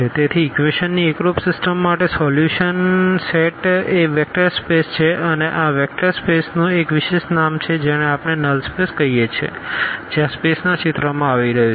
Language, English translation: Gujarati, So, for the homogeneous system of equations the solution set is a vector space and this vector space has a special name which we call as null space that is what this space coming into the picture